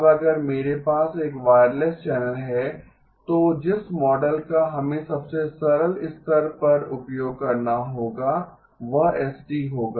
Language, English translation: Hindi, Now if I have a wireless channel then the model that we would have to use at a simplest level would be s of t